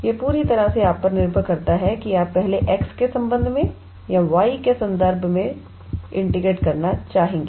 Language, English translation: Hindi, It is totally depend on you whether you would like to integrate with respect to x first or with respect to y